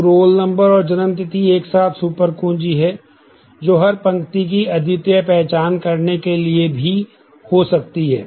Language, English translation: Hindi, So, roll number and date of birth together is a super key that can also unique to identify every row trivial